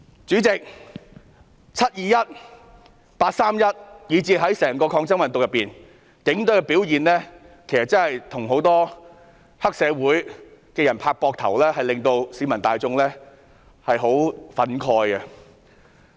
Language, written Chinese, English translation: Cantonese, 主席，"七二一"、"八三一"，以至整個抗爭運動中警隊的表現，例如與黑社會拍膊頭的舉動，確實令市民十分憤慨。, President the performance of the Police Force on 21 July and 31 August as well as in the protest movement as a whole such as patting on the shoulder of triad members has stirred up fierce public anger